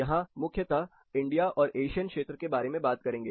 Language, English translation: Hindi, So, we are talking primarily about India or Asian part